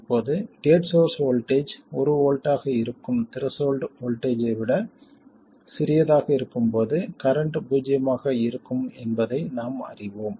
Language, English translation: Tamil, Now we know that when the gate source voltage is smaller than the threshold voltage which is 1 volt, the current is 0